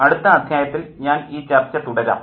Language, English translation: Malayalam, I will continue in the next session